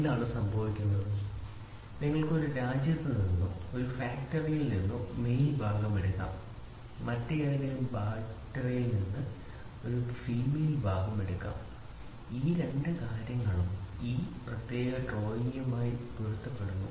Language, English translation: Malayalam, So, then what happens is you can take a male part from one country or from one factory a female part from some other factory and both these things match to a particular drawing